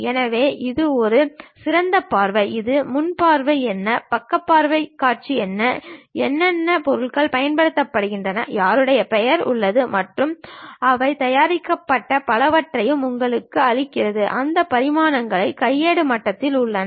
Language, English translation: Tamil, So, it makes something like what is top view, what is front view, what is side view and what are the materials have been used, whose name is there, and when they have prepared and so on so things and gives you those dimensions also at manual level